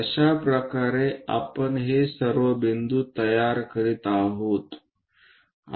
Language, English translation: Marathi, This is the way we construct all these points